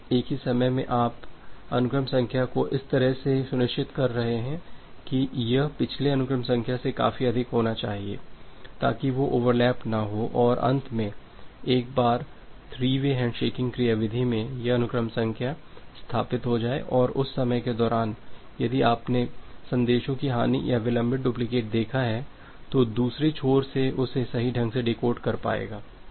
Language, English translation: Hindi, And at the same time, you are ensuring the sequence number in such a way, it should be higher enough from the previous sequence number, so that they do not get overlap and finally, once this sequence number is established to this three way handshaking mechanism and, during that time you have seen that if there is a loss or a delayed duplicate of the messages, the other ends will be able to correctly decode that